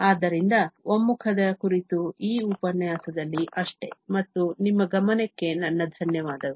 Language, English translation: Kannada, So, that is all on convergence in this lecture and I thank you for your attention